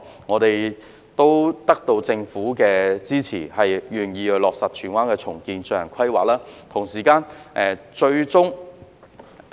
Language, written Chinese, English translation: Cantonese, 我們最終得到政府的支持，願意落實荃灣重建計劃，並就此進行規劃。, We finally obtained support from the Government for the implementation of renewal plans in Tsuen Wan and conducting the related planning